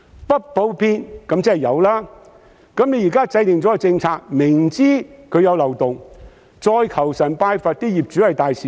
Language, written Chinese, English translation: Cantonese, "不普遍"便是"有"，現在政府制訂政策，明知道有漏洞，卻求神拜佛希望業主都是大善人。, The word uncommon implies the existence of rent increase cases . While the Government is well - aware of the loopholes in the process of policy formulation it does not plug them but pray that all landlords are kind - hearted